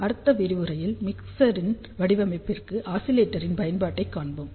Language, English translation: Tamil, In the next lecture, we will see application of oscillator for the design of mixer